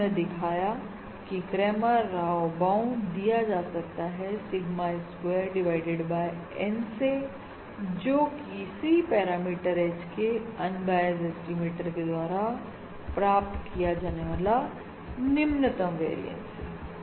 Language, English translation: Hindi, We have demonstrated that this Cramer Rao bound is basically given by Sigma square divided by N, which is the lowest variance achievable by any unbiased estimator of the parameter H